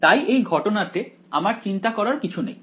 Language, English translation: Bengali, So, in this case I do not have to worry about